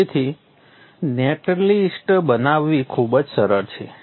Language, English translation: Gujarati, So generating the net list is pretty simple